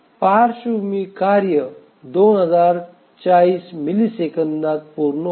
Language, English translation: Marathi, So the background task will complete in 2040 milliseconds